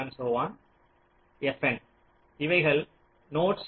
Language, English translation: Tamil, these are the nodes